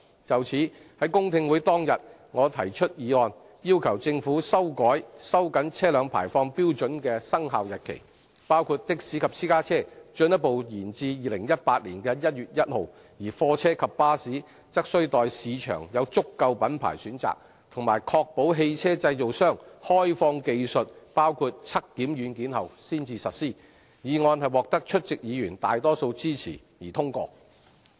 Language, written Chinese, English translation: Cantonese, 就此，在公聽會當日，我提出議案，要求政府修改收緊車輛排放標準的生效日期，包括的士及私家車進一步延至2018年1月1日，而貨車及巴士則須待市場有足夠品牌選擇及確保汽車製造商開放技術包括測檢軟件後才實施，議案獲得出席議員大多數支持而通過。, In this connection on the day of the public hearing I moved a motion requesting the Government to revise the commencement dates for tightening the vehicle emission standards including further deferral of the commencement date for taxis and private cars to 1 January 2018 and implement the standards for goods vehicles and buses when sufficient choices of makes were available in the market and the technologies including software for emission testing adopted by vehicle manufacturers were readily made public . The motion was passed with the support of the majority of Members present